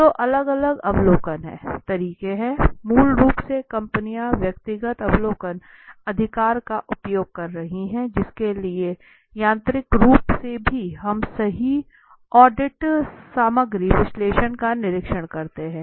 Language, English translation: Hindi, So there are different observation methods are basically companies are using the personal observational right for which is mechanically also we observe right audits content analysis